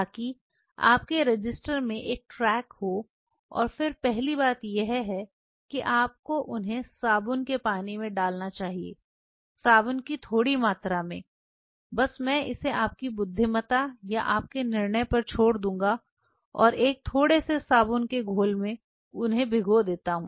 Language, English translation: Hindi, So, that you have a track in your register and then the first thing you should do you should put them in soap water small amount of soap just I will leave it to your intelligence or to your judgment and a small little soap solution soak them